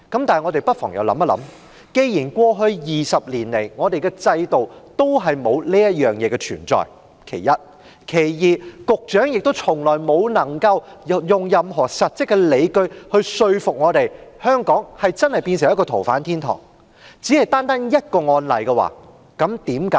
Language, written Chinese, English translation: Cantonese, 但我們不妨又想一想：第一，過去20年來，我們的制度從未有過這種修訂；第二，既然局長未能用任何實質的理據說服我們，香港真的成為了一個"逃犯天堂"，為何要為單單一宗個案修例？, Come to think about this . First no such amendment has ever made to our system over the past two decades; second if the Secretary cannot produce any factual evidence to convince us that Hong Kong has truly become a haven for fugitive offenders why should we amend the legislation for a single case?